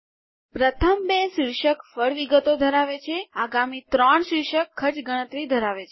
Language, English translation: Gujarati, The first two have the title fruit details, the next three have the title cost calculations